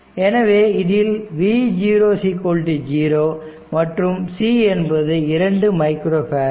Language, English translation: Tamil, So, here it is v 0 is equal to 0, and c is 2 micro farad